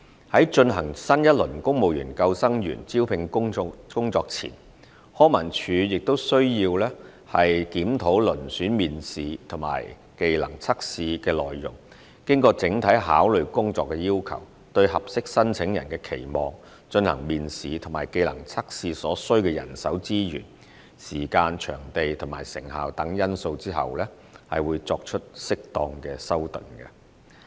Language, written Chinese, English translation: Cantonese, 在進行新一輪公務員救生員招聘工作前，康文署亦需要檢討遴選面試及技能測試的內容，經整體考慮工作要求、對合適申請人的期望、進行面試及技能測試所需的人手資源、時間、場地和成效等因素後，作適當修訂。, Before the launching of a new round of recruitment exercise for civil service lifeguards LCSD will review the contents of the selection interview and trade test in the light of various factors such as job requirements of the post expected attributes of the suitable candidates manpower resources time and venue required for selection interview and trade test and their effectiveness etc and make appropriate changes